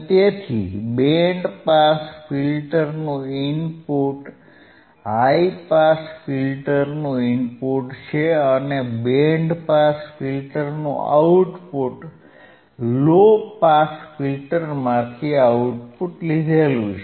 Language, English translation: Gujarati, So, input of band pass filter is athe input to high pass filter and output of band pass filter is output tofrom the low pass filter